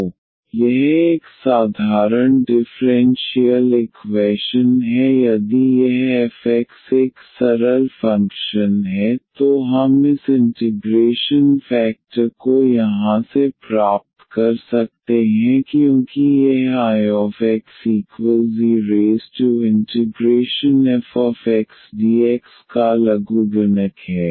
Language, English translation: Hindi, So, this is a simple differential equation if this f x is a simple function, then we can get this integrating factor from here as because this is a logarithmic of I is equal to this integral of f x dx